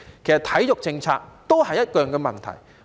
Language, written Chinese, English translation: Cantonese, 其實體育政策都有一樣的問題。, Actually the sports policy is having the same problem